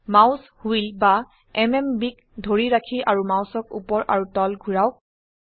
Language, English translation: Assamese, Hold the Mouse Wheel or the MMB and move the mouse up and down